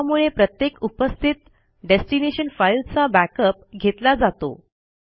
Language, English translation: Marathi, This makes a backup of each exiting destination file